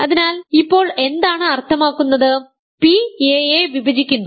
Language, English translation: Malayalam, So, now, what does it mean to say, p divides a